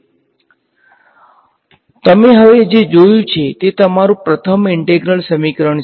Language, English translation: Gujarati, So, what you have seen now is your very first integral equation